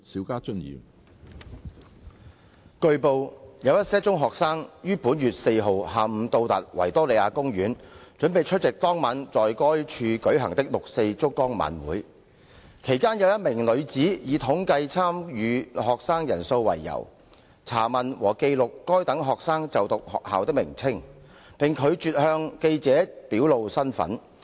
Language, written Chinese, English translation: Cantonese, 據報，有一些中學生於本月4日下午到達維多利亞公園，準備出席當晚在該處舉行的六四燭光晚會；其間有一名女子以統計參與學生人數為由，查問和記錄該等學生就讀學校的名稱，並拒絕向記者表露身份。, It has been reported that some secondary school students arrived at the Victoria Park in the afternoon of the 4 of this month to get themselves ready for attending the June 4 candlelight vigil to be held there that night . During that time a woman for the reason of compiling statistics on the number of participating students enquired with those students and jotted down the names of the schools they were attending and she refused to disclose her identity to the reporters